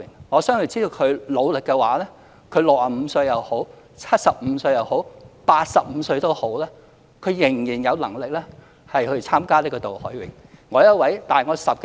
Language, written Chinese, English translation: Cantonese, 我相信只要他努力的話 ，65 歲、75歲、85歲也好，他仍然有能力參加渡海泳。, I believe if he practises hard he can still take part in the cross - harbour swim at the age of 65 75 or 85